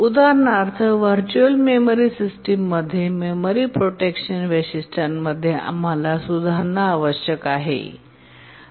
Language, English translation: Marathi, For example, in the virtual memory system and in the memory protection features, we need improvement